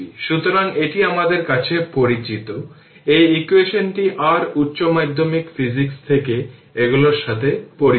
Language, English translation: Bengali, So, this is known to us this equation you are familiar with these from your higher secondary physics